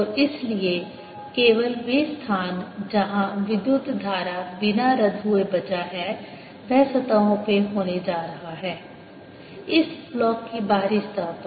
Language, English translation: Hindi, and therefore the only places where the current is going to be left without being cancelled is going to be on the surfaces, outer surfaces of this block